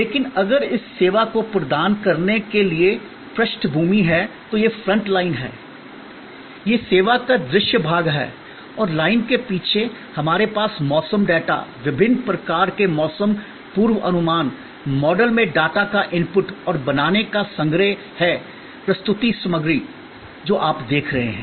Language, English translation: Hindi, But, if the background to provide this service, so this is the front line, this is the visible part of the service and behind the line, we have collection of weather data, input of the data into various kinds of weather forecast models and creating the presentation material, which is what you see